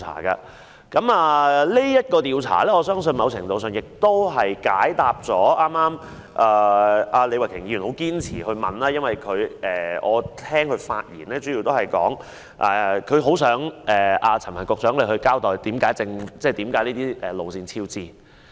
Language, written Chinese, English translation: Cantonese, 我相信這項調查某程度上解答了李慧琼議員剛才堅持的問題，我聽到她在發言中表示希望陳帆局長交代這些鐵路工程為何超支。, I believe Ms Starry LEE will find in some measure the answer to the question she pursued just now . I heard her express in her speech her aspiration to having Secretary Frank CHAN give an explanation for the cost overrun of these railway construction works